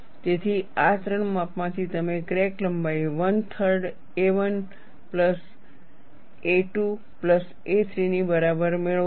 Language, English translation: Gujarati, So, from these 3 measurements, you get the crack length as a equal to 1 by 3 a 1 plus a 2 plus a 3